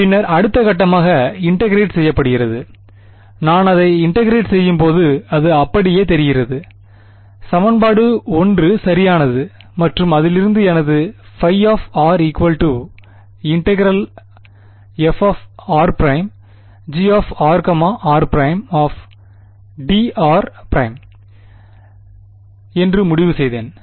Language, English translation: Tamil, And then, the next step was integrate and when I integrate it, it look just like equation 1 right and from that I concluded that my phi of r was equal to the integral over v prime f of r prime G r r prime d r prime